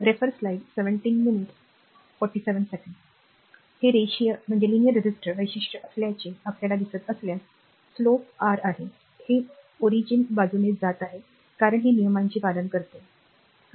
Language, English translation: Marathi, If you see this is a linear register characteristic it is slope is R, it is passing through the origin since a this following this follows Ohm’s law, right